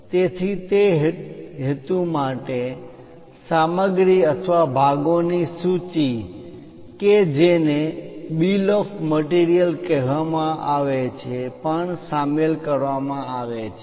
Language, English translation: Gujarati, So, for their purpose material or parts list which is called bill of materials are also included